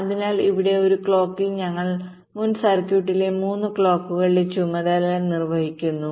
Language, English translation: Malayalam, so here in one clock we are doing the task of three clocks in the previous circuit